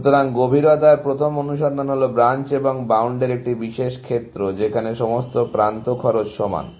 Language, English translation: Bengali, So, depth first search is a special case of Branch and Bound where, all the edge cost are equal